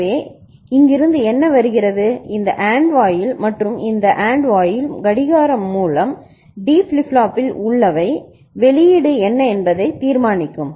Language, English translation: Tamil, So, whatever is coming from here this AND gate and this AND gate through clocking and whatever is present in the D flip flop, so that will be deciding what is the output